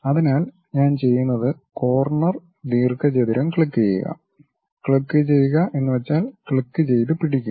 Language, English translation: Malayalam, So, what I will do is click corner rectangle, then click means click, hold it